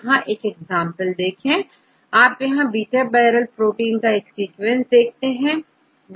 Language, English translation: Hindi, So, likewise here you can see one example, here this is the sequence for one beta barrel protein